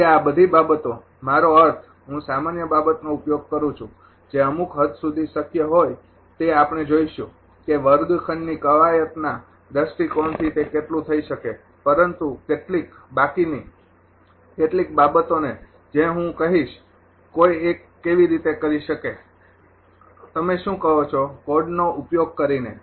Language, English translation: Gujarati, So, all this things ah I mean with the hel[p] general thing, whatever it is possible to some extent we will see that as much as it can be done from the classroom exercise point of view, but rest some some of some of the things I will tell you that how one can do it in the your what you call using the code